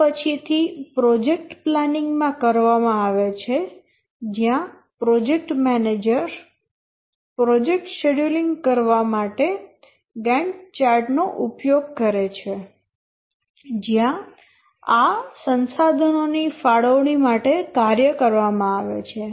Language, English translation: Gujarati, These are done later in the project planning where the project manager uses a Gant chart to do the project scheduling, where these allocation of resources to the tasks are done